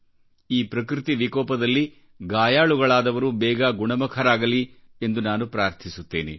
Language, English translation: Kannada, I earnestly pray for those injured in this natural disaster to get well soon